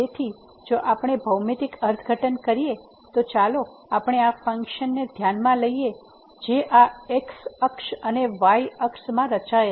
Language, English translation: Gujarati, So, if we go through the geometrical interpretation, so, let us consider this is the function which is plotted in this and the here